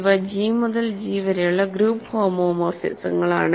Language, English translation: Malayalam, These are group homomorphisms from G to G